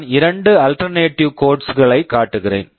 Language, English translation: Tamil, I am showing two alternate codes